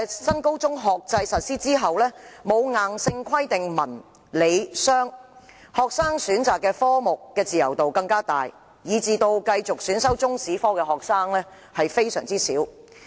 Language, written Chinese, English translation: Cantonese, 新高中學制實施後，對選修文、理、商科沒有硬性規定，學生的自由度更大，繼續選修中史科的學生大幅減少。, Under the New Senior Secondary Academic Structure there is no mandatory requirements on the selection of arts science and commerce streams . With more leeway the number of students who continue to take Chinese History as an elective has significantly reduced